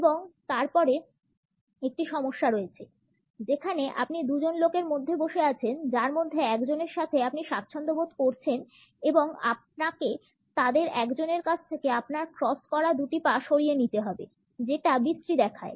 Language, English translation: Bengali, And then there is the issue where you are sitting between two people that you are comfortable with and you have to cross your leg away from one of them; that is awkward